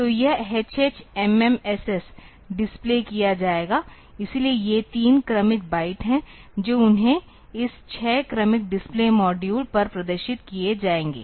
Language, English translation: Hindi, So, this hh mm ss will be displayed; so, these are the three successive bytes they will be displayed on this 6 successive display modules